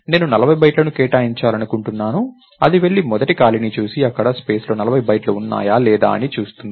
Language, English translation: Telugu, 40 bytes, I want 40 bytes to be allocated it will go and look at the first free space and ask, is there 40 bytes in this space